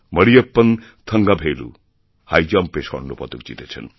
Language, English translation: Bengali, Mariyappan Thangavelu won a gold medal in High Jump